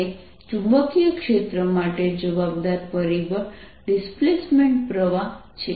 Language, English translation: Gujarati, responsible factor for the magnetic field is the displaced current